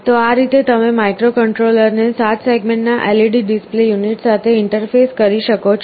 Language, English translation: Gujarati, So, this is how you can interface a 7 segment LED display unit to the microcontroller